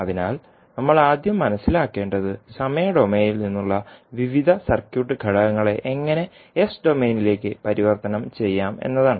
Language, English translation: Malayalam, So, first thing which we have to understand is that how we can convert the various circuit elements from time domain into s domain